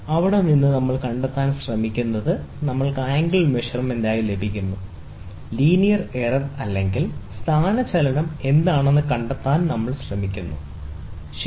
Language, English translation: Malayalam, From there, we try to find, we get the angle measurement; from the angle, we try to find out what is the linear error or the displacement, ok